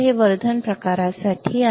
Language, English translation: Marathi, This is for Enhancement type